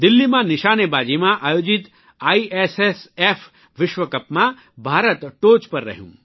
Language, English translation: Gujarati, India bagged the top position during the ISSF World Cup shooting organised at Delhi